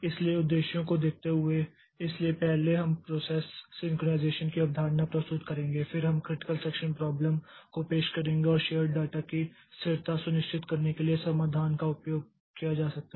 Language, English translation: Hindi, So, looking into the objectives, so first we will present the concept of process synchronization, then we will introduce the critical section problem and solutions can be used to ensure the consistency of shared data